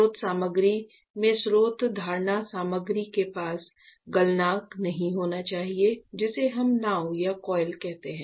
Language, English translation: Hindi, So, the source material should not have a melting point close to the source holding material which we call as a boat or a coil